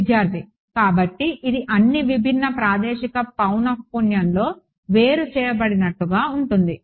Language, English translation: Telugu, So, this is like separated on the all the different spatial frequency